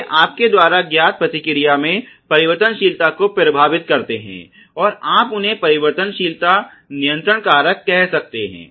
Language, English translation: Hindi, So, they affect the variability in the response you know and you can simply call them control factors and you can call variability control factors